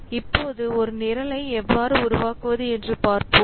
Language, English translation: Tamil, So now let's see how to create a program